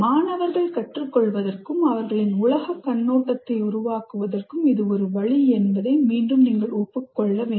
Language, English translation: Tamil, So this, again, you have to acknowledge this is a way the students learn and construct their worldview